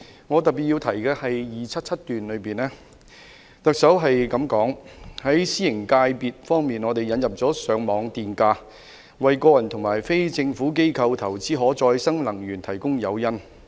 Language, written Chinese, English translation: Cantonese, 特首在施政報告第277段說："在私營界別方面，我們引入了上網電價，為個人和非政府機構投資可再生能源提供誘因。, The Chief Executive said in paragraph 277 of the Policy Address For the private sector we have introduced Feed - in Tariff to provide incentives for individuals and non - government bodies to invest in renewable energy